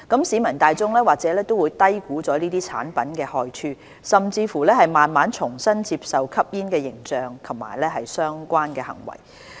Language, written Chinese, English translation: Cantonese, 市民大眾或會低估這些產品的害處，甚至慢慢重新接受吸煙的形象及相關行為。, The public may underestimate the harmful effects of these products and eventually endorse the smoking image and relevant behaviours once again